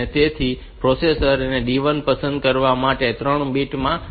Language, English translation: Gujarati, So, for selecting this D1, the processor should put 0 in these 3 bits for selecting D1